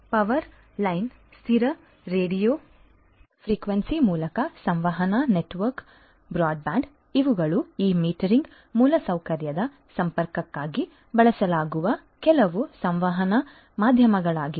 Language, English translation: Kannada, So, communication network broadband over power line, fixed radio frequency, you know these are some of these communication medium that are used for the connectivity of this metering infrastructure